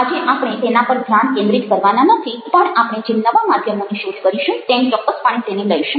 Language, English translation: Gujarati, today we are not going to focus on these, but we will definitely take them up as we explored new media